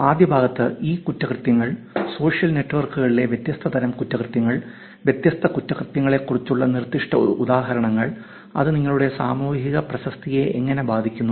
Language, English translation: Malayalam, Also in the first part, we generally saw about what e crimes are, different types of crimes on social networks, specific examples about different crimes; how that affects yor social reputation